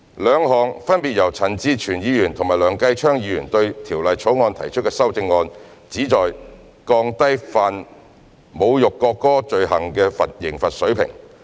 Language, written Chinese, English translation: Cantonese, 兩項分別由陳志全議員和梁繼昌議員對《條例草案》提出的修正案，旨在降低犯侮辱國歌罪行的刑罰水平。, The two amendments proposed by Mr CHAN Chi - chuen and Mr Kenneth LEUNG to the Bill respectively seek to lower the penalty level for the offence of insulting the national anthem